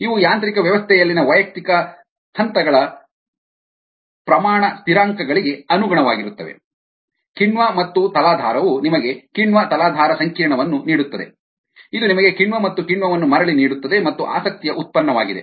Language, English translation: Kannada, these correspond to the rate constants of individuals, steps in the mechanism, enzyme plus substrate, giving you enzyme substrate complex, which further gives you enzyme and enzyme back and the product of interest